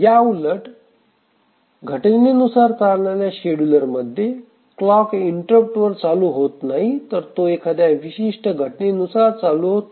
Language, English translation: Marathi, On the other hand in an event driven scheduler, the scheduler does not become active based on a clock interrupt but it is based on certain events